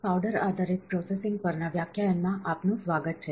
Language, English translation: Gujarati, Welcome to the lecture on powder based processing